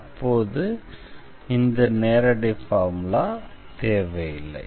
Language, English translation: Tamil, So, we do not have to use this direct formula in that case